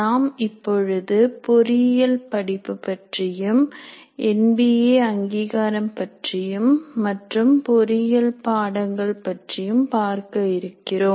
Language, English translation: Tamil, So the first unit tries to look at engineering programs, MBA accreditation, and look at what are engineering courses